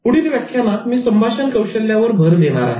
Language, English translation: Marathi, In the next lecture, I started focusing on communication skills